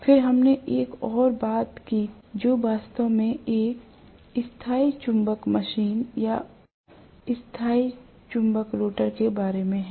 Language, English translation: Hindi, Then we also talked about one more which is actually a permanent magnet machine or permanent magnet rotor